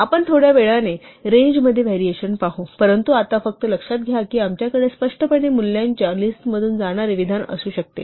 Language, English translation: Marathi, We will see these variations on range a little later, but for now just note that we can either have for statement which explicitly goes through a list of values